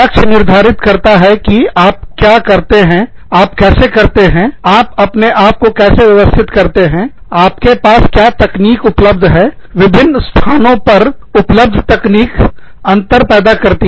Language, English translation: Hindi, The goals determine, what you do, how you do it, how you organize yourselves, the technology available to you, the technology available in different locations, will make a difference